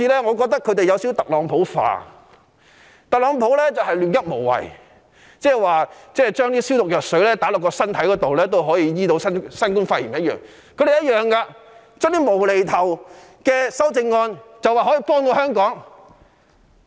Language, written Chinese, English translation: Cantonese, 我覺得他們好像有點"特朗普化"，特朗普一向"亂噏無謂"，就如他說將消毒藥水注入身體可以醫治新冠肺炎一樣，反對派亦同樣指出這些"無厘頭"的修正案可以幫助香港。, I think they are somehow under the influence of Trumpism . Donald TRUMP always says nonsense and makes meaningless remarks . Just like his saying that the injection of disinfectant into the body will cure novel coronavirus pneumonia the opposition camp is also saying that these nonsense amendments will help Hong Kong